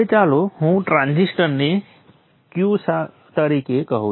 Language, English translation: Gujarati, Now let me call this transistor as Q